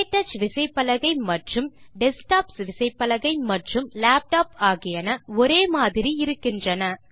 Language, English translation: Tamil, Notice that the KTouch keyboard and the keyboards used in desktops and laptops are similar